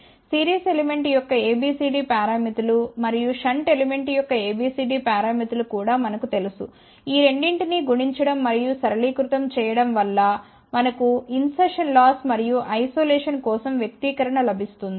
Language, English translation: Telugu, So, we know that A B C D parameters of series element and we also know A B C D parameters or shunt element multiplying these two and simplifying we get the expression for insertion loss and isolation